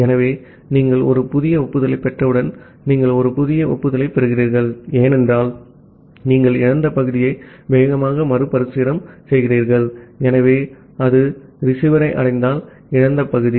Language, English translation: Tamil, So, once you receive a new acknowledgement, so you are receiving a new acknowledgement, because you have retransmitted the lost segment in fast retransmit, so that lost segment if it reached at the receiver